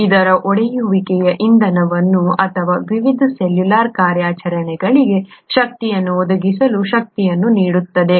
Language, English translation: Kannada, A breakage of this would yield energy that can the fuel or that can provide the energy for the various cellular operations